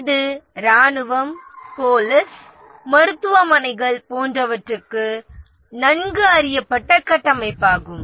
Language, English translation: Tamil, This is a well known structure for military, police, hospitals, etc